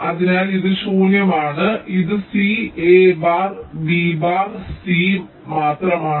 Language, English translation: Malayalam, so this is only c, a bar b, bar c